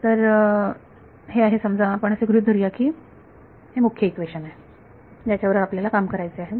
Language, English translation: Marathi, So, this is let us assume that this is the main equation that we have to work with